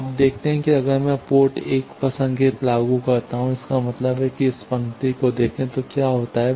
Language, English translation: Hindi, You see that, if I apply signal at port 1 that means, look at this row, what happens